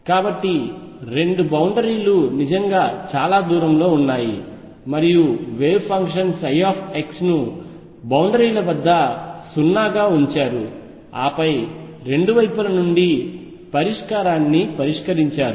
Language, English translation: Telugu, So, the boundaries were really far off and taken the wave function psi x to be 0 at the boundaries, and then dealt up the solution from both sides